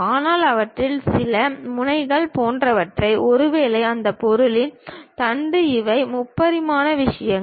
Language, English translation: Tamil, But, some of them like nozzles and perhaps the shaft of that object these are three dimensional things